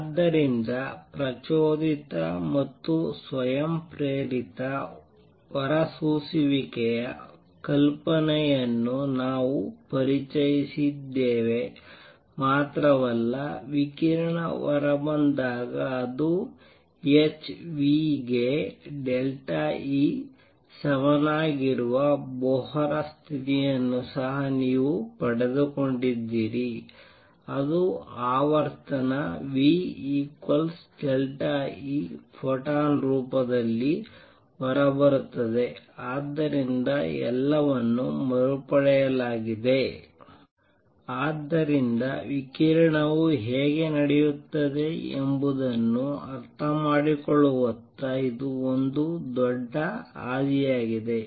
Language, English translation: Kannada, So, not only we have introduced the idea of stimulated and spontaneous emissions you have also got the Bohr condition the delta E is equal to h nu when the radiation comes out it comes out in the form of a photon with frequency nu equals delta E over h; so all that is recovered, so this was the great leap towards understanding how radiation takes place